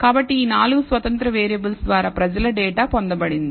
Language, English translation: Telugu, So, these are the four independent variables people data was obtained on